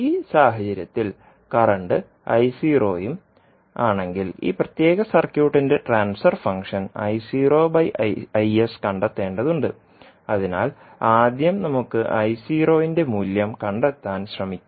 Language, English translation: Malayalam, In this case and the current is I naught now we have to find out the transfer function of this particular circuit that is I naught by Is, so let us first let us try to find out the value of I naught